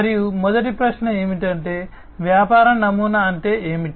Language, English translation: Telugu, And first of all the question is that, what is a business model